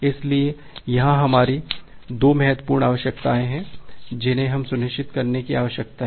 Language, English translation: Hindi, So, here we have 2 important requirements that we need to ensure